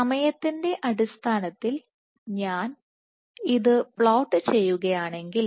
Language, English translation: Malayalam, So, if I were to plot it in terms of time